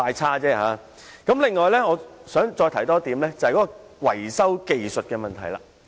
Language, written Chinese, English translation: Cantonese, 此外，我想談談電動車維修技術的問題。, I would also like to talk about the repair technology for EVs